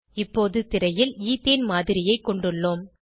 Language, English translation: Tamil, We now have the model of Ethane on the screen